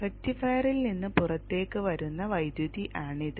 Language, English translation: Malayalam, This is the current coming out of the rectifier